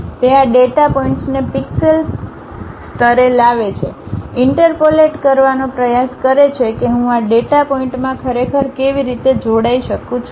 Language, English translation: Gujarati, It picks these data points at pixel level, try to interpolate how I can really join this data point that data point